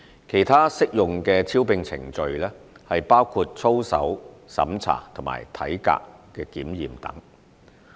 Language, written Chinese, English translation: Cantonese, 其他適用的招聘程序包括操守審查及體格檢驗等。, Other recruitment procedures including integrity checking and medical examination etc are also applicable